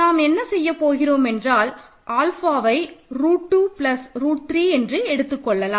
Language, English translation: Tamil, I will continue here that means, alpha squared minus 2 root 2 root alpha plus 2 is equal to 3